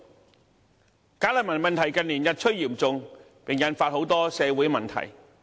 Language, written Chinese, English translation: Cantonese, 近年，"假難民"問題日趨嚴重，引發很多社會問題。, In recent years the issue of bogus refugees has gradually deteriorated leading to many social problems